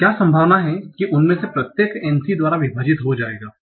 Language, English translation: Hindi, We are given the probability of n1, divide by n